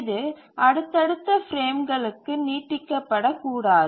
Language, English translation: Tamil, It should not spill over to the subsequent frames